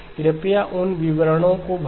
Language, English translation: Hindi, Please fill in those details